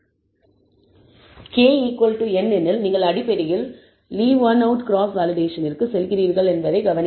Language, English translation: Tamil, Notice that if k equals n, you are essentially going back to Leave One Out Cross Validation